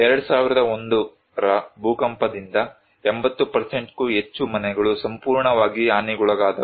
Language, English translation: Kannada, More than 80% of the houses were totally damaged by 2001 earthquake